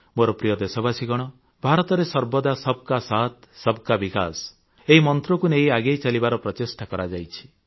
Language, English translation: Odia, My dear countrymen, India has always advanced on the path of progress in the spirit of Sabka Saath, Sabka Vikas… inclusive development for all